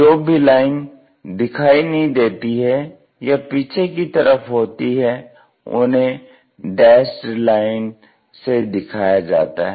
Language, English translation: Hindi, Any any lines which are not visible and maybe perhaps at the back side, we usually show it by dashed lines